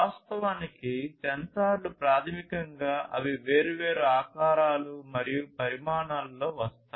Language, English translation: Telugu, Actually, the sensors basically they come in different shapes and sizes